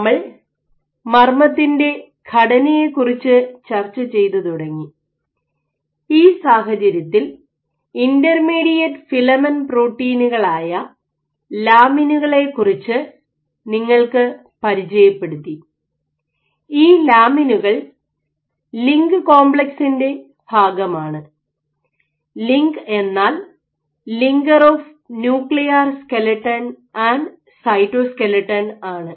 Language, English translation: Malayalam, So, we have introduce started discussing about the structure of the nucleus and this, in this context we had introduced you have proteins or lamins which are intermediate filament proteins, which serve and this lamins are part of the LINC complex, LINC stands for linker of nuclear skeleton and cytoskeleton ok